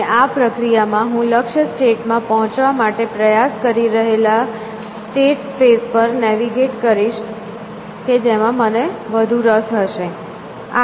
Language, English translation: Gujarati, And in this process, I will navigate the state space, trying to reach the goal state that I will interest than essentially